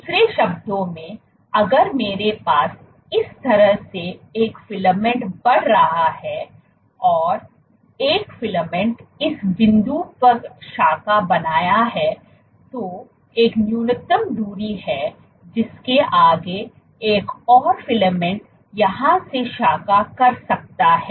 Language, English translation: Hindi, In other words, if I have a filament growing like this and a filament has branched at this point there is a minimum distance beyond which another filament can branch from here